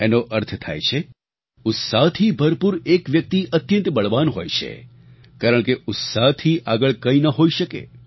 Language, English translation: Gujarati, This means that a man full of enthusiasm is very strong since there is nothing more powerful than zest